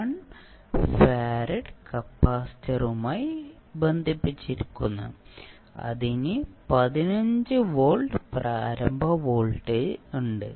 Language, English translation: Malayalam, 1 Fared capacitor who is having initial voltage as 15 volts